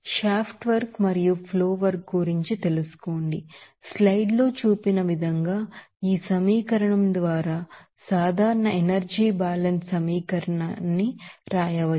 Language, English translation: Telugu, And you will see that, based on that, you know shaft work and flow work, the general energy balance equation can be written by this equation here as shown in the slide